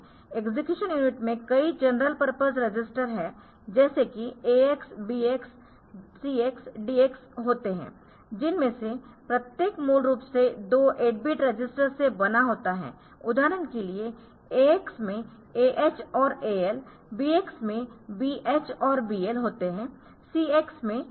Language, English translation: Hindi, So, in the execution unit so it will be having a number of general purpose registers AX, AX, CX, DX each of which is basically consisting of 2 8 bit registers for example, AX consists of and AL, BH consists of BH and BL, CH consists of CH and CL